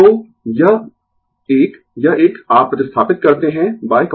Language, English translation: Hindi, So, this one this one you replace by cos theta